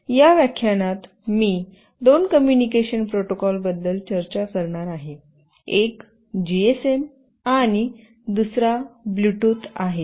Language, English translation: Marathi, In this lecture, I will be discussing about two communication protocols, one is GSM and another is Bluetooth